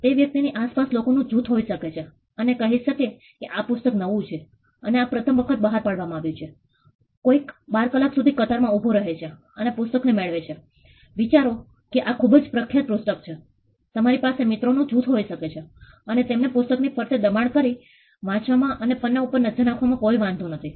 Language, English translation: Gujarati, There could be a group of people around that person say it is a new book which has been released for the first time somebody stood in the queue for 12 hours and got the book assume it is a very popular book, you could have a group of friends who do not mind being pushed around looking into the page and reading it